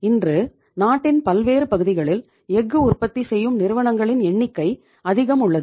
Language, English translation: Tamil, Today, we have number of companies manufacturing steel in the different parts of the country